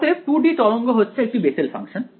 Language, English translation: Bengali, So, 2 D wave is a Bessel function